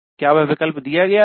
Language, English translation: Hindi, Was that option given